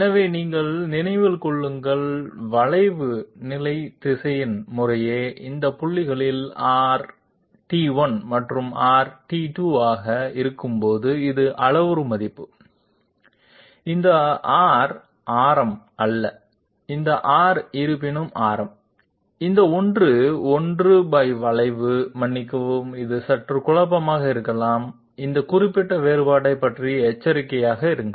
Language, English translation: Tamil, So mind you, this is the parameter value while the curve position vector is R and R at these points respectively, this R is not the radius, this R however is the radius, this one, 1 by curvature I am sorry, this might be slightly confusing be alert about this particular difference